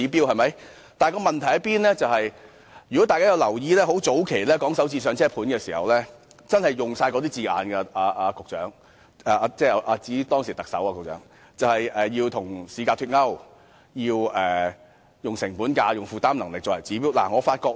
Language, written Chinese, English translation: Cantonese, 如果大家曾留意，便會發現早期討論"港人首置上車盤"時其實亦用上同樣的字眼——局長，我指當時的特首——例如與市價脫鈎，以及以成本價及負擔能力作為指標。, If Members notice it they will find that the same expressions were actually also used―Secretary I mean by the Chief Executive at the time―in the discussions on the Starter Homes proposal in the early days such as unpegging the price from the market price and adopting the cost price and peoples affordability as the criteria